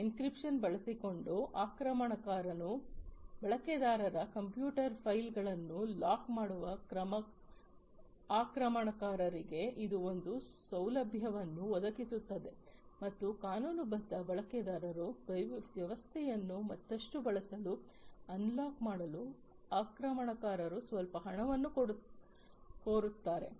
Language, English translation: Kannada, It provides a facility to the attacker in which the attacker locks the user’s computer files by using an encryption and then the attacker will demand some money in order for them to lock the system to be further used by the legitimate users